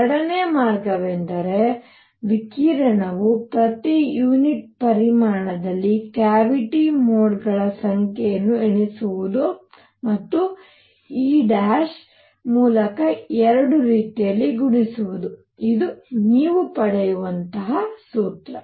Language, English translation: Kannada, Second way is to count the number of modes that radiation has in the cavity per unit volume and multiply that by E bar both ways, this is the formula you get